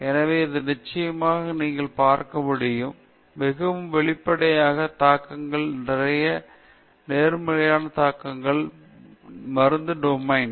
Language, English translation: Tamil, So, this definitely you can see, quite obviously, will have a lot of implications, positive implications, in the domain of medicine